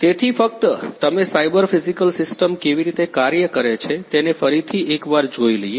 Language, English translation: Gujarati, So, just you give you a recap of how a cyber physical system works